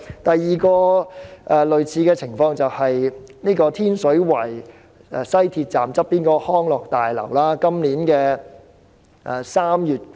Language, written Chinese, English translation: Cantonese, 第二個類似情況就是天水圍西鐵站旁邊的康樂大樓。, The second case of a similar nature is the Leisure and Cultural Building next to the MTR Station of the West Rail Line at Tin Shui Wai